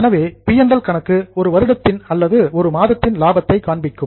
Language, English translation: Tamil, So P&L account will show you the profit during a particular year or during a particular month